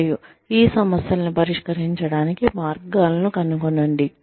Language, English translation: Telugu, And, find ways, to solve these problems